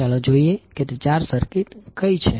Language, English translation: Gujarati, Let us see what are those four circuits